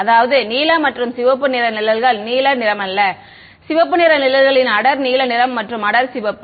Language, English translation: Tamil, I mean that is the shades of blue and red shades of not blue and red shades of dark blue and dark red